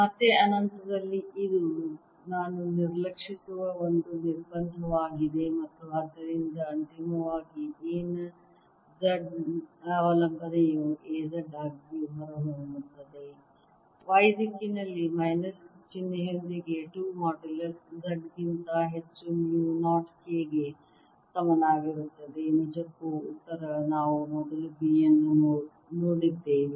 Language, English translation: Kannada, it's a constraint which i'll ignore and therefore the z dependence of a finally comes out to be a z is equal to mu naught k over two modulus z, with the minus sign in the y direction